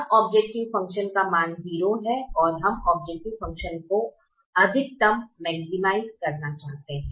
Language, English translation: Hindi, now the objective function has a value zero and we wish to maximize the objective function